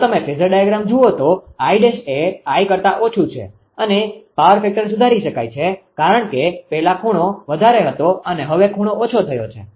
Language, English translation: Gujarati, If you look at the phasor diagram this I dash is less than I right and and the power factor can be improved because earlier that angle was higher now angle is decreed